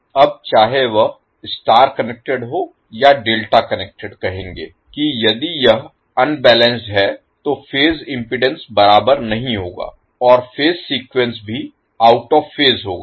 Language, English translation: Hindi, Now whether it is star connected or delta connected will say that if it is unbalanced then the phase impedance will not be equal and the phase sequence will also be out of phase